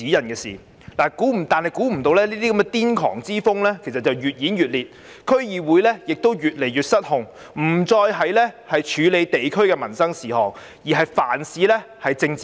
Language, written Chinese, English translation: Cantonese, 萬料不到這種癲狂之風越演越烈，區議會越來越失控，不再處理地區民生事務，而是凡事政治化。, Unexpectedly this wave of insanity has intensified and DCs have become so uncontrollable that they no longer deal with district affairs but politicize everything